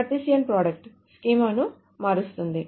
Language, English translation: Telugu, The Cartesian product, of course, just change the schema